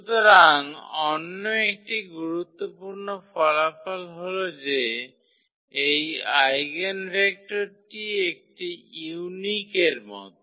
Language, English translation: Bengali, So, another important result that this eigenvector is like a unique